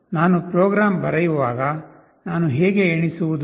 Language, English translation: Kannada, When I write a program, how do I count